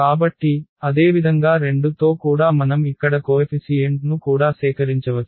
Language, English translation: Telugu, So, similarly for with mu 2 also we can also collect the coefficients here